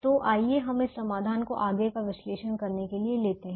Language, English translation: Hindi, so let us take the same solution to analyze it for them